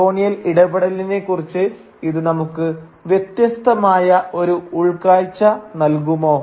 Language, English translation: Malayalam, Will it give us a different insight into the colonial encounter altogether